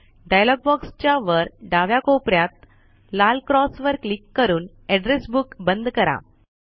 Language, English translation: Marathi, Close the Address Book by clicking on the red cross on the top left corner of the dialog box